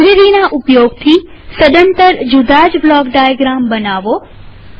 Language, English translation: Gujarati, Using the library, create entirely different block diagrams